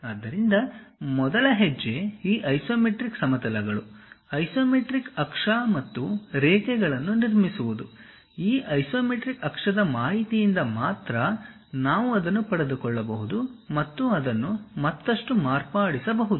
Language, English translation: Kannada, So, the first step when you are handling on these isometric planes, isometric axis and lines; any information we have to get it from this isometric axis information only, that has to be modified further